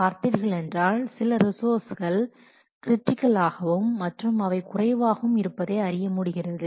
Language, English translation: Tamil, See there are some resources which are very critical and those critical resources are very less